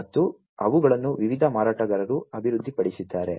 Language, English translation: Kannada, And they have been developed by the different vendors